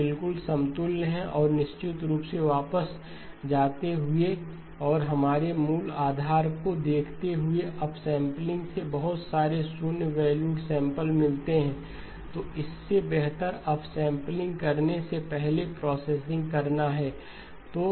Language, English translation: Hindi, These are exactly equivalent and of course going back and looking at our basic premise, up sampling introduces a lot of zero valued samples better to do the processing before you do the up sampling